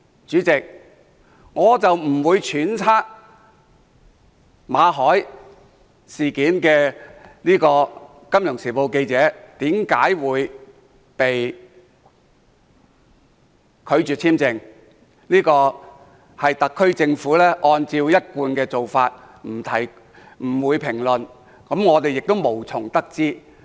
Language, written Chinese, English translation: Cantonese, 主席，我不會揣測《金融時報》記者馬凱為何會被拒簽證，這是特區政府的一貫做法，不會評論，我們也無從得知。, President I will not speculate why the visa application of Victor MALLET a journalist of the Financial Times was turned down . It is the established practice of the SAR Government not to comment on individual cases and hence there is no way we can find out the reason